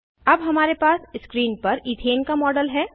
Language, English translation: Hindi, We now have the model of Ethane on the screen